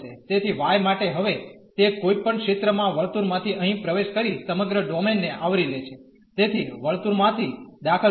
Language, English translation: Gujarati, So, for y it is now entering through the circle at any point here to cover the whole domain; so, entering through the circle